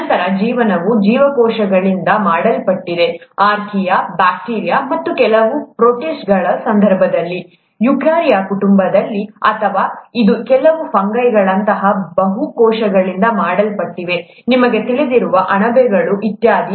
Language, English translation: Kannada, Then life itself is made up of cells, either single cells, as the case of archaea, bacteria and some protists, in the eukarya family, or it could be made up of multiple cells, such as some fungi, you know mushrooms and so on so forth, the fungi, animals of course, plants, humans, and so on, okay